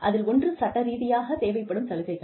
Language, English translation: Tamil, The first one is, legally required benefits